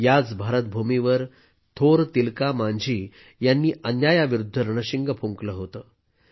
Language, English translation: Marathi, It was on this very land of India that the great Tilka Manjhi sounded the trumpet against injustice